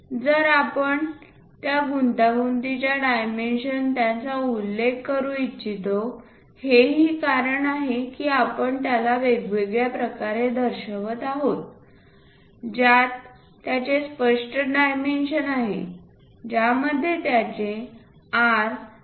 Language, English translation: Marathi, So, we want to really mention those intricate dimensions also that is the reason we are showing it as a separate one with clear cut dimensioning it is having R of 0